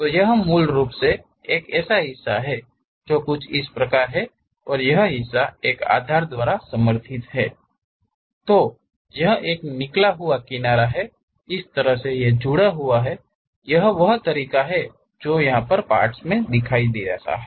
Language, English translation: Hindi, So, this basically, there is something like a part and that part is supported by a base and this is connected by a flange kind of thing, this is the way that element really looks like